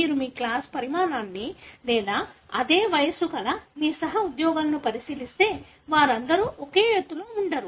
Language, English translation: Telugu, If you look into your class size or your colleagues of the same age group, not all of them are of the same height